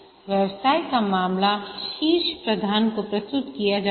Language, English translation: Hindi, The business case is submitted to the top management